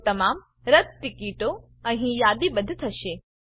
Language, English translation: Gujarati, So all the canceled ticket will be listed here